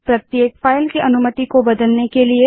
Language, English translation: Hindi, c : Change the permission for each file